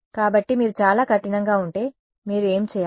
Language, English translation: Telugu, So, if you are very very strict what you should do